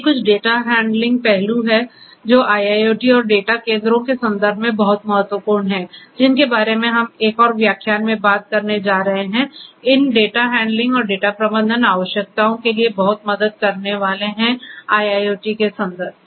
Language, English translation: Hindi, These are some of the data handling aspects that are very important in the context of IIoT and data centres which we are going to talk about in another lecture is going to help a lot in catering to these data handling and data management requirements that are there in the context of IIoT